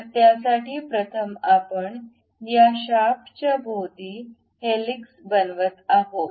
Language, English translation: Marathi, So, first for that what we do is we construct a helix around this shaft